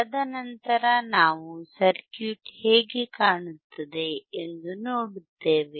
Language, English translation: Kannada, And then we will see how the circuit looks